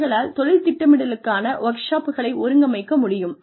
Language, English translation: Tamil, They could also organize, career planning workshops